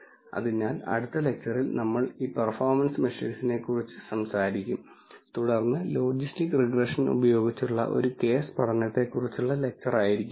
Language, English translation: Malayalam, So, in the next lecture we will talk about these performance measures and then following that will be the lecture on a case study using logistic regression